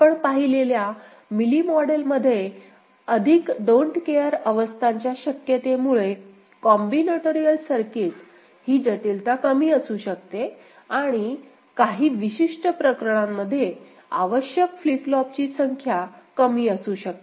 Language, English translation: Marathi, Mealy model we have seen because of the possibility of having more don’t care states the combinatorial circuit that complexity may be less and also the number of flip flops required may be less in certain cases ok